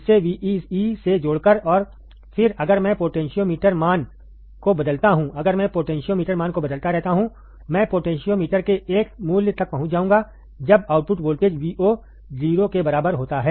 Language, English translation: Hindi, By connecting this to Vee and then if I change the potentiometer value, if I keep on changing the potentiometer value, I will reach a value of the potentiometer when the output voltage Vo equals to 0